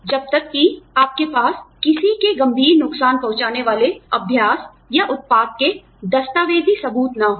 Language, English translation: Hindi, You should not resort to whistleblowing, till you have documentary evidence, of the practice, or product, bringing serious harm to somebody